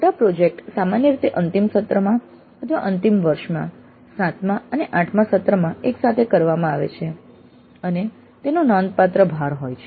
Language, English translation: Gujarati, The major project is usually done either in the final semester or in the final year that is both seventh and eight semester together and it has substantial credit weightage